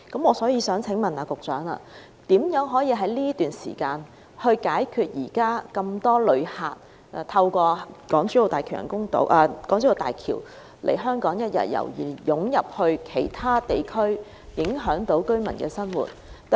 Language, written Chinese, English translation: Cantonese, 我想請問局長於此段時間，如何解決目前很多旅客通過港珠澳大橋來香港一日遊並湧入其他地區，影響居民生活的問題？, May I ask the Secretary how he will during the interim period address the current problem of a large number of visitors coming to Hong Kong through HZMB on one - day tours and flocking to other areas thus affecting local peoples livelihood?